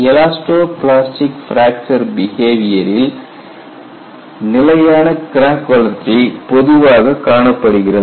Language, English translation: Tamil, In elasto plastic fracture behavior, stable crack growth is usually observed